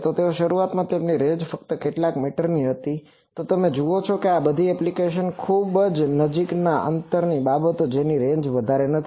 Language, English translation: Gujarati, So, initially their range was only some few meters that is why you see all these applications are very close distance things the range is not much